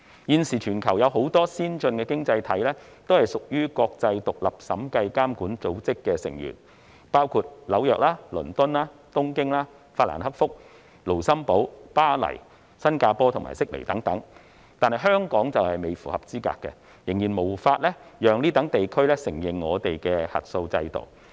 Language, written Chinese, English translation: Cantonese, 現時全球有很多先進經濟體均屬於國際獨立審計監管組織的成員，包括紐約、倫敦、東京、法蘭克福、盧森堡丶巴黎、新加坡及悉尼等，但香港仍未符合資格，仍然無法令該等地區承認我們的核數制度。, At present many advanced economies in the world are members of the International Forum of Independent Audit Regulators including New York London Tokyo Frankfurt Luxembourg Paris Singapore and Sydney but Hong Kong is not yet qualified . Our audit regime is still unable to gain recognition from these jurisdictions